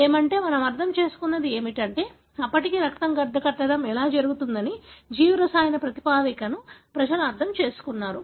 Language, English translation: Telugu, What is, what has been understood is that by then people have understood the biochemical basis of how the blood clot happens